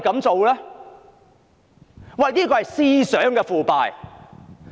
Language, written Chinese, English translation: Cantonese, 這是思想上的腐敗。, This is corruption of thinking